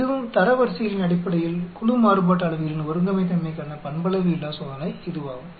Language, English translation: Tamil, This is also a nonparametric test for homogeneity of group variances based on ranks